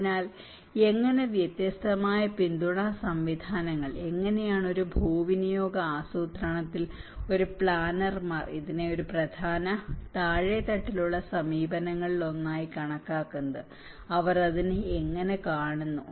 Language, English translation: Malayalam, So, how different support systems, how at a land use planning how a planners also considered this as one of the important bottom level approach and how they look at it